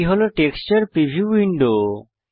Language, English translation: Bengali, This is the texture preview window